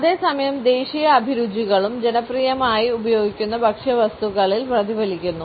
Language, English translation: Malayalam, At the same time national tastes are also reflected in those food items which are popularly consumed